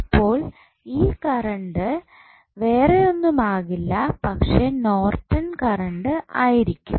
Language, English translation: Malayalam, So, that circuit current would be nothing but the Norton's current